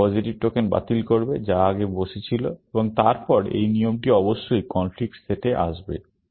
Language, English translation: Bengali, It will cancel the positive token, which was sitting earlier, and then, this rule will certainly, come into the conflict set